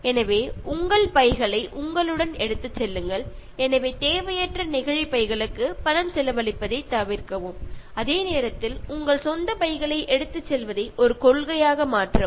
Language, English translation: Tamil, So, take your bags with you, so avoid spending money on unnecessary plastic bags, but at the same time make it a principle to carry your own bags for shopping